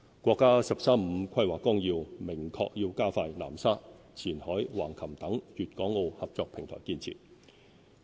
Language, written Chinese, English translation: Cantonese, 國家"十三五"規劃綱要明確要加快南沙、前海、橫琴等粵港澳合作平台建設。, The outline of the National 13 Five - Year Plan clearly expresses the need to expedite development of cooperation platforms among Guangdong - Hong Kong - Macao such as Nansha Qianhai and Hengqin